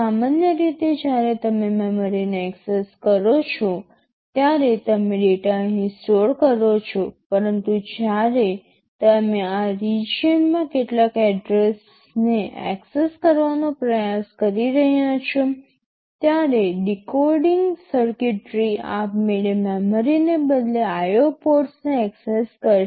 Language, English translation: Gujarati, Normally when you access memory you store the data here, but when you are trying to access some address in this region there the were decoding circuitry which will automatically be accessing the IO ports instead of the memory